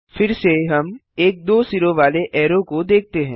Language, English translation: Hindi, Again, we see a double headed arrow